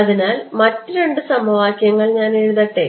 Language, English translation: Malayalam, So, let me write down the other two equations